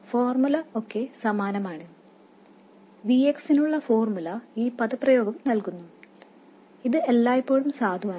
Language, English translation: Malayalam, The formula is still exactly the same, the formula for that VX and it is given by this expression